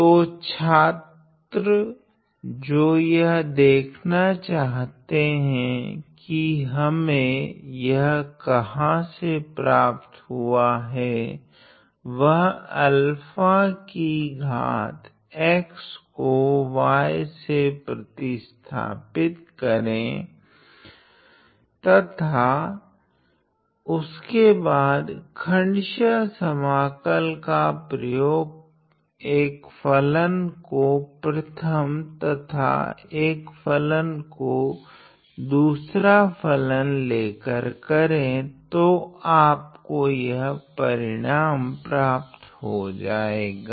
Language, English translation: Hindi, So, students who want to see where we are getting this answer from should try to either derive it if they can substitute alpha times x to be y and then use integration by parts taking one of the functions as first the other one as the second function to arrive at this result ok